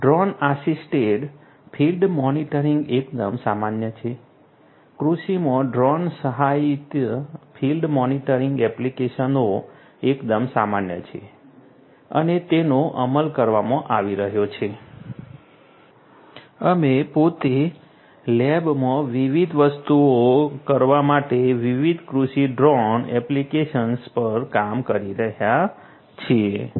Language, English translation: Gujarati, Drone assisted field monitoring is quite common drone assisted field monitoring applications in agriculture are quite common and are being implemented, we ourselves in the lab we are working on different agricultural drone applications for doing number of different things